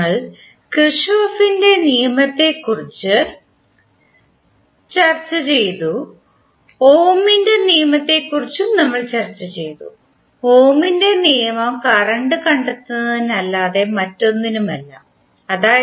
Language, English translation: Malayalam, We discussed about the Kirchhoff’s law, we also discussed Ohm’s law, Ohm’s law is nothing but the finding out current I that is V by Z